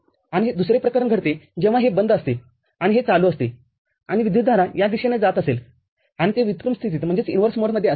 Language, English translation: Marathi, And the other case happens when this is off and this is on and the current is driven in this direction and this is in inverse mode